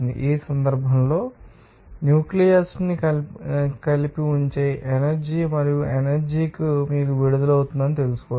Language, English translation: Telugu, In this case the energy that holds the nucleus together and the energy can be you know released